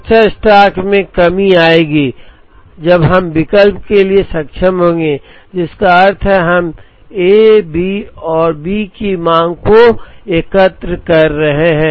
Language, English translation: Hindi, The safety stock will come down when we are able to substitute which means, we are aggregating the demand for A and B